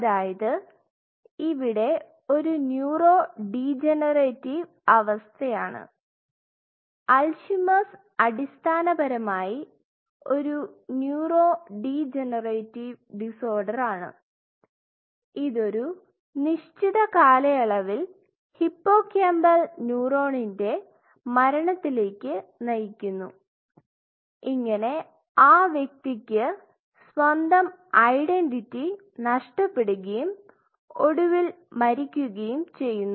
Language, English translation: Malayalam, So, there is a neurodegenerative it is basically Alzheimer’s is a neurodegenerative disorder, which leads to the death of hippocampal neuron over a period of time, and eventually the individual loses his or her own identity and eventually they die